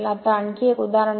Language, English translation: Marathi, Now, next is another example